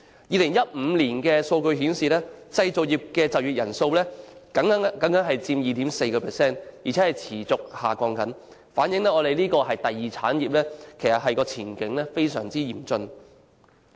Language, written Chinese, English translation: Cantonese, 2015年的數據顯示，製造業的就業人數僅佔總就業人數 2.4%， 而且持續下降，反映第二產業的前景非常嚴峻。, Data in 2015 showed that the number of employees in the manufacturing industry accounted for only 2.4 % of the total employment population and the number was on the decline reflecting the grim prospect of the secondary industry